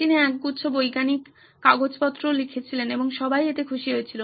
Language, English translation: Bengali, He wrote a bunch of scientific papers and everybody was happy with this